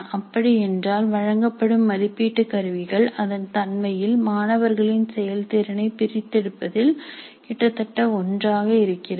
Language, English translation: Tamil, That means the assessment instruments administered are more or less similar in their nature in terms of extracting the performance of the students